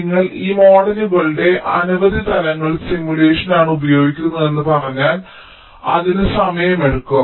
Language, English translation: Malayalam, so so if you say that you are using multiple levels of these models, then simulation it will take time